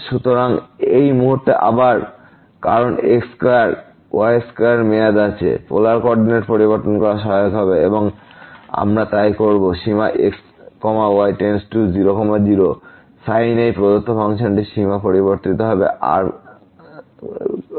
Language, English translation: Bengali, So, at this point again because square square term is there, changing to polar coordinate will be helpful and we will do so the limit goes to sin this given function will be changed to as limit to 0